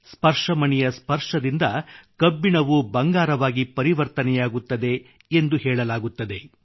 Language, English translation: Kannada, It is said that with the touch of a PARAS, iron gets turned into gold